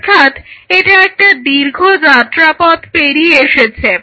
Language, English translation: Bengali, So, it is kind of a long haul journey